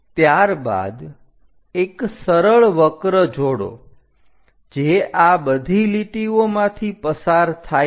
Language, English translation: Gujarati, And after that join a smooth curve which pass through all these lines